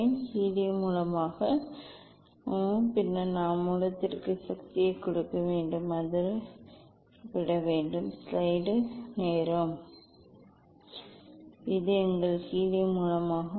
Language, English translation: Tamil, this is the helium source and we have to we give power to the source then, it will eliminate this is our helium source